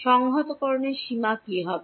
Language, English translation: Bengali, What will be the limits of integration